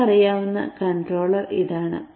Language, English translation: Malayalam, So this is the controller as we know it